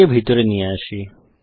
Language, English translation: Bengali, Let me bring it inside